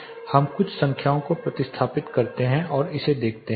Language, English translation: Hindi, Now let us substitute some numbers and see this